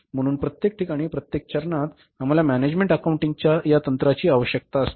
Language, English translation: Marathi, So, everywhere at every step we need this techniques of management accounting